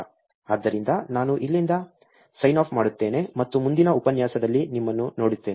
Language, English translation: Kannada, Therefore, I will sign off from here and see you in the next lecture